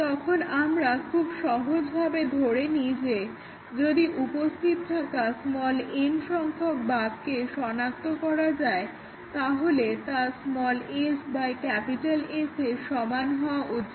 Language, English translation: Bengali, Then, we make a simple assumption that if small n out of existing number of bugs is detected that must be equal to small s by S